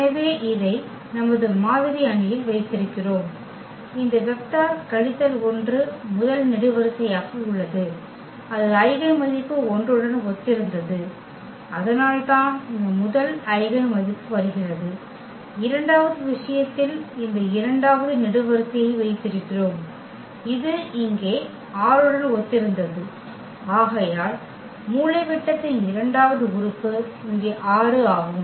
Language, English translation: Tamil, So, we have kept in our model matrix this, these vector minus 1 as the first column, and that was corresponding to the eigenvalue 1 and that is the reason here this first eigenvalue is coming and in the second case we have kept this second column which was corresponding to the 6 here and therefore, the second element in the diagonal is 6 here